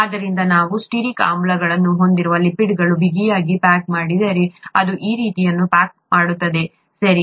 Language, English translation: Kannada, And therefore, if we tightly pack lipids containing both stearic acids, it is going to pack something like this, okay